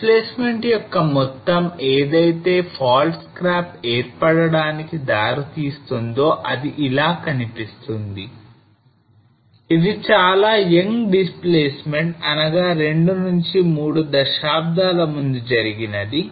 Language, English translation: Telugu, The amount of displacement which will result into the formation of the fault scarp and this is how it looks like and this was a young displacement like 2 or 3 decades back